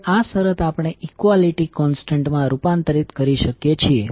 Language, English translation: Gujarati, Now this condition we can converted into equality constant